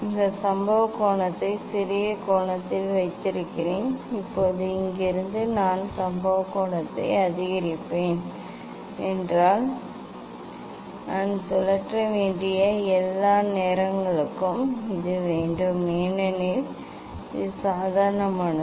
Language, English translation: Tamil, I kept this incident angle as the at smaller angle Now from here I will increase the incident angle means I have to all the time I have to rotate because this is the normal